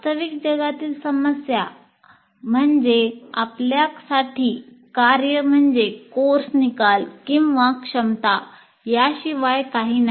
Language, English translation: Marathi, Now we are saying that real world problems are tasks for us are nothing but course outcomes or competencies